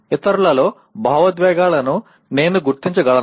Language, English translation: Telugu, Can I recognize the emotions in others